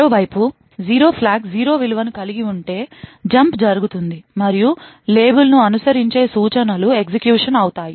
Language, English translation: Telugu, On the other hand, if the 0 flag has a value of 0 then there is a jump which takes place and the instructions following the label would execute